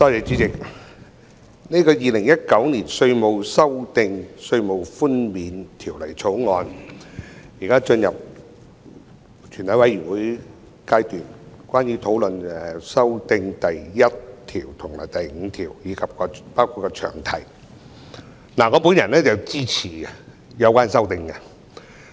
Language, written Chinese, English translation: Cantonese, 主席，《2019年稅務條例草案》現在進入全體委員會審議階段，討論第1至5條及詳題的修訂，我支持有關的修正案。, Chairman Council now enters the Committee stage of the Inland Revenue Amendment Bill 2019 the Bill to consider the amendments to Clauses 1 to 5 and the long title . I support the amendments